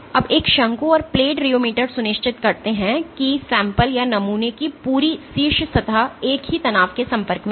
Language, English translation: Hindi, Now a cone and plate rheometer make sure that the entire top surface of the sample is exposed to the same strain